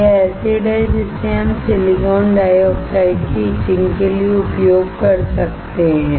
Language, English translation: Hindi, This is the acid that we can use to etch the silicon dioxide